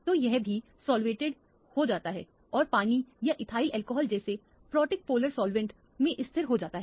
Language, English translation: Hindi, So, that also gets solvated and it gets stabilized in a protic polar solvent like water or ethyl alcohol